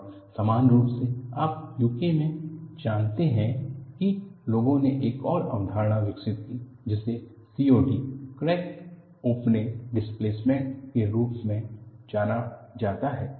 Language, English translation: Hindi, And parallelly, you know in UK, people developed another concept, which is known as COD, crack opening displacement